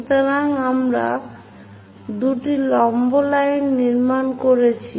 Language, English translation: Bengali, So, two perpendicular lines construction lines we have done